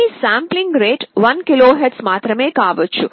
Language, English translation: Telugu, May be your sampling rate will be 1 KHz only